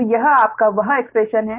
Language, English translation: Hindi, so this is your, what you call that expression